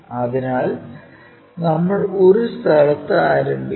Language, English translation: Malayalam, So, we begin at one location